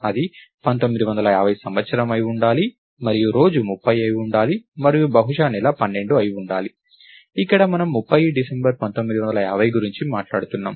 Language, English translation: Telugu, It should have been year 1950 and day must have been 30 and probably the month must have been 12, where we are talking about 30th December 1950, right